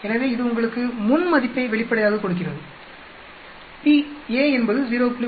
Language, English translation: Tamil, So, it gives you the pre value obviously, p a is 0